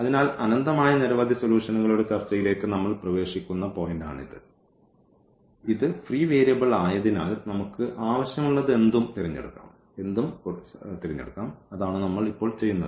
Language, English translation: Malayalam, So, this is exactly the point where we are entering into the discussion of the infinitely many solutions and since this is free variable so, we can choose anything we want and that is what we will do now